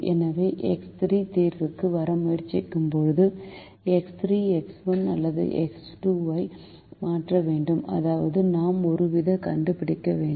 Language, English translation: Tamil, so when x three is trying to come into the solution, x three has to replace either x one or x two, which means we have to find a ratio